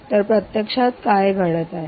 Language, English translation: Marathi, so what is actually happening